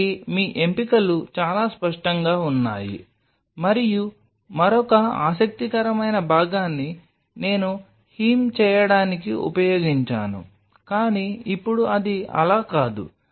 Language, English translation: Telugu, So, your options are very clear either and another interesting part I used to heam of, but as of now it is kind of not